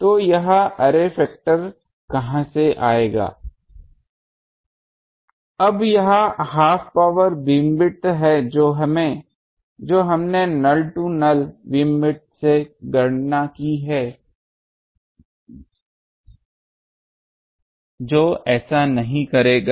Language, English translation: Hindi, So, this will come from array factor, now this is half power beamwidth we have calculated null to null beam width that will not do